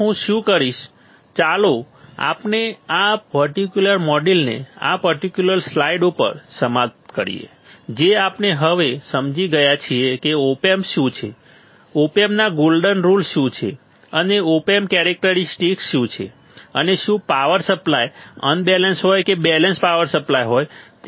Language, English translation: Gujarati, So, what I will do is let us finish this particular module at this particular slide which we understood now that what is op amp right, what are the golden rules of the op amp, and what are the characteristics of open, and what are the power supply whether it is unbalanced or balanced power supply right